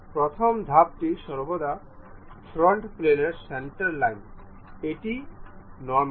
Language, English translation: Bengali, The first step is always be centre line on a front plane, normal to it